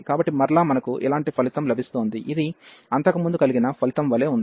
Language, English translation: Telugu, So, again we are getting the similar result, which was earlier one